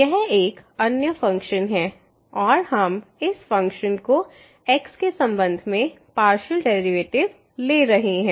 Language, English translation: Hindi, So, this is another function and then we are taking partial derivative with respect to of this function